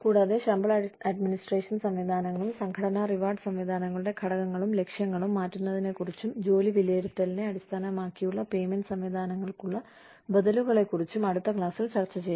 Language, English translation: Malayalam, And, we will discuss, changing salary administration systems and components, and objectives of organizational rewards systems, and the alternatives to pay systems based on job evaluation, in the next class